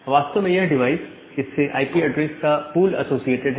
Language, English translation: Hindi, So, this device is actually having a pool of IP addresses associated with them